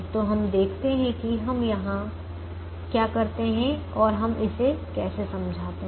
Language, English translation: Hindi, so we see what we do there and how we explain